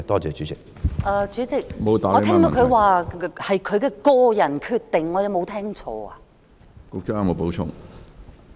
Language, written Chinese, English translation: Cantonese, 主席，我聽到局長說，這是他的個人決定，我有沒有聽錯？, President I heard the Secretary say that it was his own decision . Did I hear him wrong?